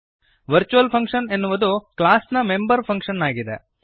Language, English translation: Kannada, Virtual function is the member function of a class